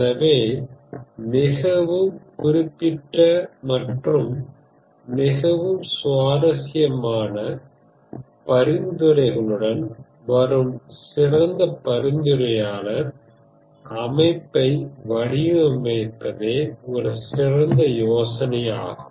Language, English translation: Tamil, So the idea is the goal is to design the best recommender system which comes with a very specific and a highly interesting set of recommendations